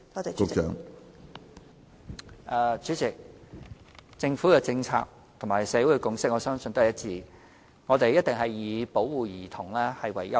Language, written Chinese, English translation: Cantonese, 主席，我相信政府的政策和社會的共識是一致的，都是以保護兒童為優先。, President I believe our policy is in line with public consensus that protecting children should be given the first priority